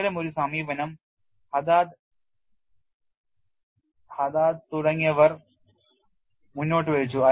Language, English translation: Malayalam, Such an approach was proposed by Haded et al